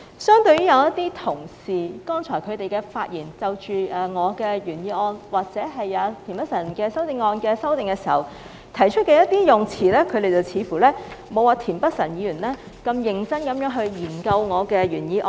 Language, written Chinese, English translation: Cantonese, 相對一些同事剛才的發言，他們就着我的原議案或田北辰議員的修正案提出的用詞，顯示他們似乎沒有田北辰議員般認真研究我的原議案。, As for colleagues who just spoke on the wordings of my original motion or Mr Michael TIENs amendment it seems that they have not studied my original motion as seriously as Mr Michael TIEN has